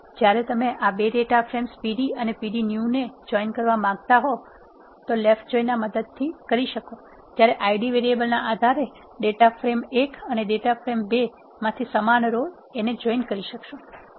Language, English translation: Gujarati, When you want to combine this 2 data frames pd and pd new a left join joins, matching rows of data frame 2 to the data from 1 based on the Id variables